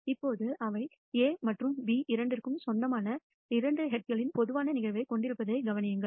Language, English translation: Tamil, Now notice that they have a common event of two successive heads which belongs to both A and B